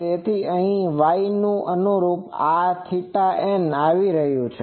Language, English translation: Gujarati, So, here corresponding to this Y, this theta n is coming